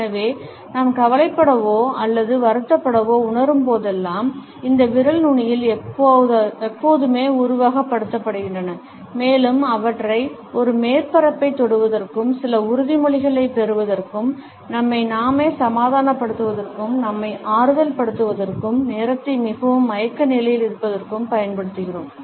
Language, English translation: Tamil, And therefore, whenever we feel anxious or upset, these fingertips always are simulated and we use them either to touch a surface, to get certain assurance, to caress ourselves, to console ourselves, to while away the time in a very unconscious manner